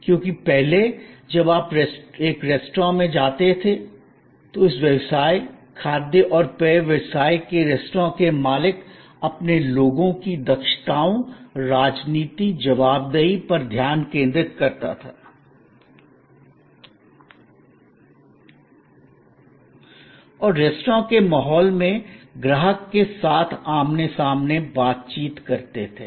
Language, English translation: Hindi, Because, earlier when you went to a restaurant, the restaurant owners of that business, food and beverage business could focus on the competencies, politeness, responsiveness of their people and they interacted face to face with the customer in an environment and ambiance of the restaurant